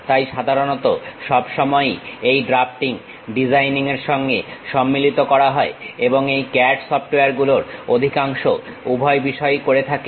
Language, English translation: Bengali, So, usually this drafting always be club with designing and most of these CAD softwares does both the thing